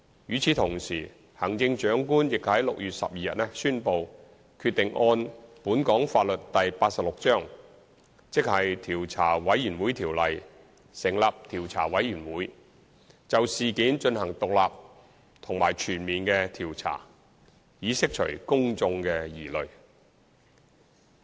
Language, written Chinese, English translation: Cantonese, 與此同時，行政長官已於6月12日宣布決定按本港法例第86章《調查委員會條例》，成立調查委員會，就事件進行獨立及全面的調查，以釋除公眾的疑慮。, At the same time the Chief Executive announced on 12 June the decision on the setting up of a Commission of Inquiry under the Commissions of Inquiry Ordinance Cap . 86 to conduct an independent and comprehensive investigation in order to allay the concerns of the public